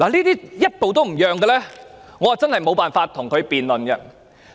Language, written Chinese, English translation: Cantonese, 對於這一些人，我真的無法跟他們辯論。, I really cannot have a debate with people like them